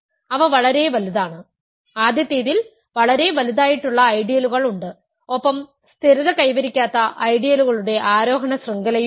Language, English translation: Malayalam, They are very big; there are ideals that are very big in the first case and there are there is an ascending chain of ideals which does not stabilize